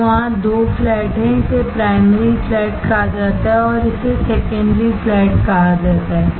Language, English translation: Hindi, So, there are 2 flats this is called primary flat and this is called secondary flat